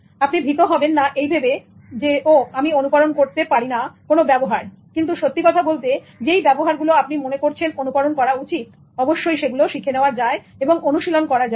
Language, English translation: Bengali, You don't have to worry that, oh, I cannot emulate certain kinds of behavior, but in fact that those behavior which you think should be emulated can be learned and cultivated